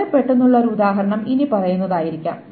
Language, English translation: Malayalam, And a very quick example may be the following